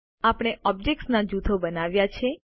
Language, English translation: Gujarati, We have created groups of objects